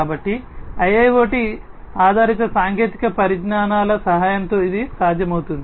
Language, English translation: Telugu, So, this can be possible with the help of a IIoT based technologies